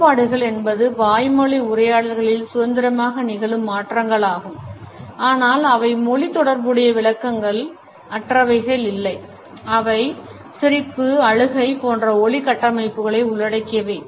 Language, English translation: Tamil, Differentiations are the modifications of verbal utterances which occur independently, but are never devoid of the interpretations associated with language they include sound constructs such as laughter, crying etcetera